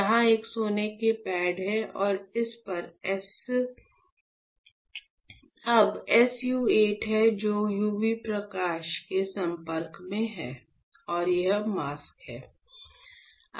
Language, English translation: Hindi, So, you have a gold pad here and on this now you have SU 8 which is exposed to UV light and this is the mask